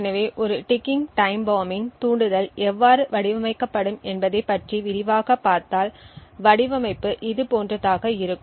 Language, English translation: Tamil, So, if we look at this more in detail about how a ticking time bomb’s trigger would be designed the design would look something like this